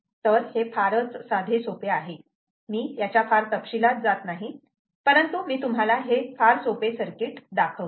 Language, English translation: Marathi, i wont go into great detail, but i will show you a very, very simple circuit